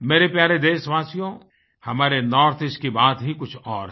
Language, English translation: Hindi, My dear countrymen, our NorthEast has a unique distinction of its own